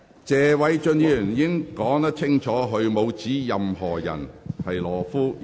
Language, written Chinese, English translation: Cantonese, 謝偉俊議員已經表明，他沒有指任何人是懦夫。, Mr Paul TSE has made himself clear that he has not called anyone a coward